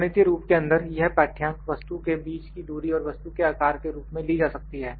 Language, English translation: Hindi, When mathematical form the readings can be obtained like the distance between the object and the shape of the object